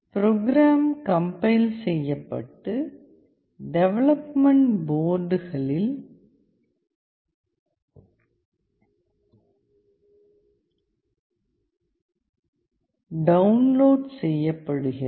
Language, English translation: Tamil, The program is compiled and downloaded onto the development boards